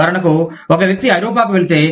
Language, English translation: Telugu, For example, if a person goes to Europe